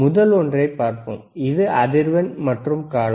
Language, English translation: Tamil, Let us see the first one which is the frequency and period